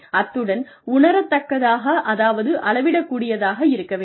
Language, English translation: Tamil, And, they should be tangible, which means measurable, quantifiable